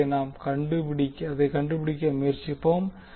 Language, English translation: Tamil, So what we will try to find out